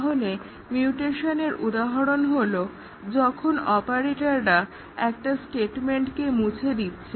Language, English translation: Bengali, So, example of mutation operators are deleting a statement